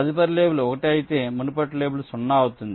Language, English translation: Telugu, if the next label is one, the previous label will be zero